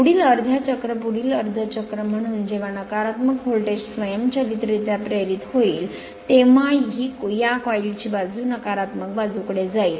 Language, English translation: Marathi, As the next half cycle next half cycle when negative voltage will be induced automatically this coil side will be shifted to the negative your negative your negative side right